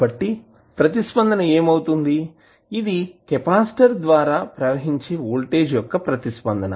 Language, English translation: Telugu, So, what will happen the responses this would be the response for voltage at across capacitor